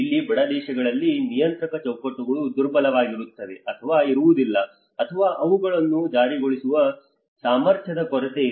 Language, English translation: Kannada, Here in poorer countries, the regulatory frameworks are weak or absent, or the capacity to enforce them is lacking